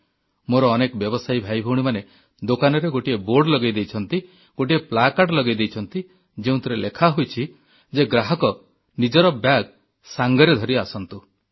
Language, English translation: Odia, Many of my merchant brothers & sisters have put up a placard at their establishments, boldly mentioning that customers ought to carry shopping bags with them